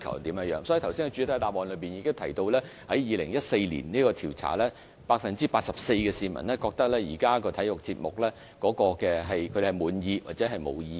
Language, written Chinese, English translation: Cantonese, 就此，我剛才已在主體答覆中指出，在2014年的調查中 ，84% 的受訪者滿意現時的體育節目或對此表示沒有意見。, In this connection I already point out in the main reply that as shown by the survey in 2014 84 % of the respondents were satisfied with existing quantity of sports programmes or had no comment